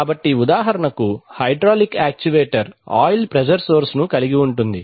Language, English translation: Telugu, So for example, the hydraulic actuator has an oil pressure source